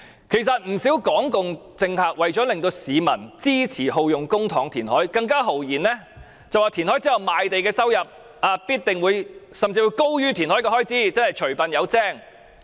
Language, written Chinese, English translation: Cantonese, 其實，不少港共政客為了令市民支持耗用公帑填海，更豪言填海後的賣地收入甚至高於填海開支，即除笨有精。, Actually in order to make people support using public money for reclamation many Hong Kong communist politicians boldly state that the revenue from the sale of reclaimed land will be even greater than the expenditure on reclamation . In other words a small cost may bring a handsome reward